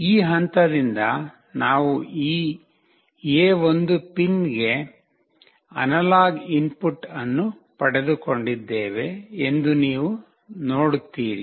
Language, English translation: Kannada, You see that from this point, we have got the analog input into this A1 pin